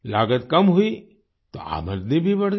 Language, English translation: Hindi, Since the expense has come down, the income also has increased